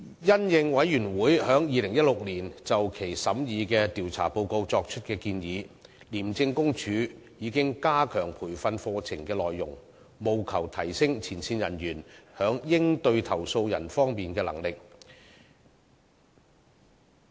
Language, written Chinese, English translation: Cantonese, 因應委員會在2016年就其審議的調查報告作出的建議，廉政公署已加強培訓課程的內容，務求提升前線人員在應對投訴人方面的能力。, Pursuant to the recommendations made by the Committee in the investigation reports it considered in 2016 ICAC has enhanced the contents of its training programmes to better equip its frontline officers for dealing with complainants